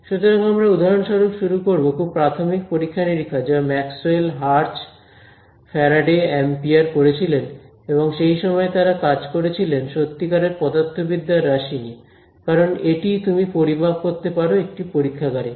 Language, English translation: Bengali, So, we will start with for example, the very early experiments which lets say Maxwell, Hertz, Faraday, Ampere all of these would have done and at that time they would have worked with real valued physical quantities, because that is what you measure in a lab